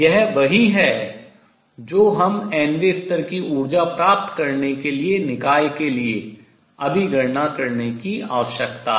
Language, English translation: Hindi, This is what we need to calculate now for the system to get the nth level energy and let us do that next